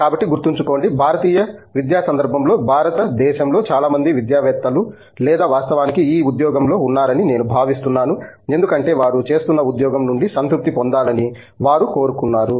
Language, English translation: Telugu, So, keep in mind, in the Indian academic context I think most of the academics in India or actually on this job because they wanted to derive satisfaction out of the job that they doing